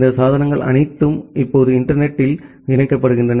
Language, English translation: Tamil, And all these devices are now getting connected over the internet